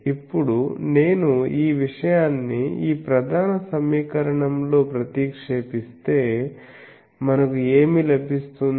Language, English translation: Telugu, Now, if I substitute this thing into this main equation, then what we get